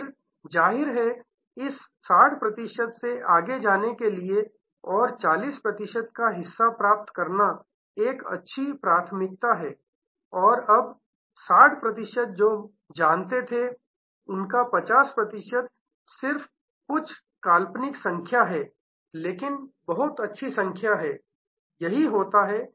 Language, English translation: Hindi, Then; obviously, to go from this 60 percent and acquire part of the 40 percent is a good priority, now of the 60 percent who were aware, 50 percent this is just some hypothetical numbers, but pretty good numbers, this is what happens